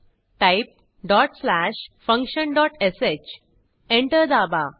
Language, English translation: Marathi, Now type dot slash background dot sh Press Enter